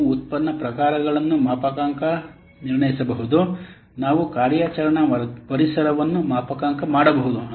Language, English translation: Kannada, You can calibrate the product types, you can calibrate the operating environments